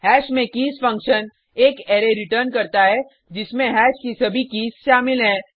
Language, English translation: Hindi, keys function on hash, returns an array which contains all keys of hash